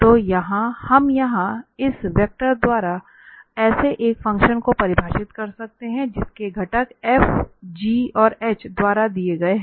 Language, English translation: Hindi, So, we can define such a function by this vector here F, whose components are given by this f, g and h